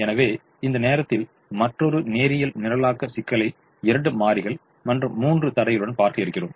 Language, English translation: Tamil, so we look at another linear programming problem, this time with two variables and three constraints